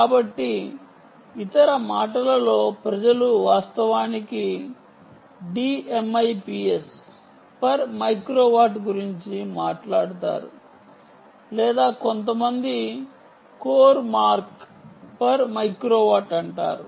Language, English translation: Telugu, so in other words, people actually talk about d mips ah per microwatt, ok, or some people say core mark per microwatt, core mark per microwatt